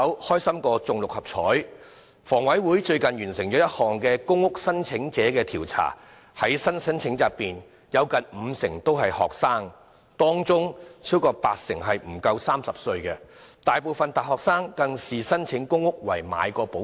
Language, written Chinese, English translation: Cantonese, 香港房屋委員會最近完成了一項公屋申請者調查，發現在新申請者中有近五成人是學生，當中超過八成人不足30歲，而大部分大學生更視申請公屋為"買保險"。, The Hong Kong Housing Authority HKHA has recently conducted a survey on PRH applicants . It was found that nearly half of the new applicants were students and among them over 80 % were aged under 30; a majority of university students even regarded applying for PRH as taking out insurance